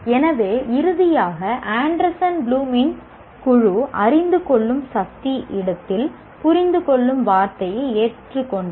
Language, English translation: Tamil, So finally, the Anderson Bloom's group have accepted the word understand in place of comprehension